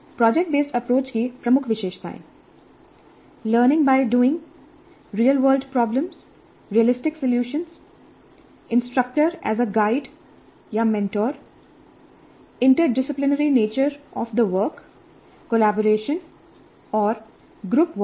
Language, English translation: Hindi, The key features of project based approach, learning by doing, real world problems, realistic solution, instructor as a guide or a mentor, interdisciplinary nature of the work, collaboration and group work